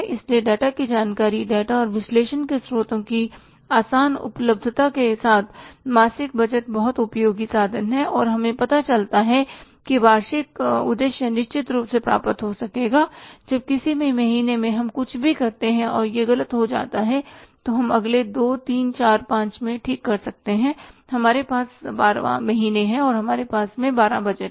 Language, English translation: Hindi, So, with the easy availability of data information, sources of data and the analysis, monthly budgeting is very very useful tool and we come to know that annual objectives certainly would be achieved when if in any month we do anything and it goes wrong then we can do it in the next month second, third, fourth, fifth we have 12 months, we have 12 budgets